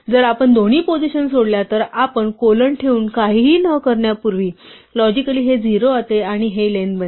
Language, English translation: Marathi, If we leave out both position, we just put colon with nothing before nothing after logically this becomes 0 and this becomes the length